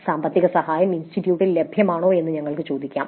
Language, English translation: Malayalam, So, we could ask whether financial assistance was available from the institute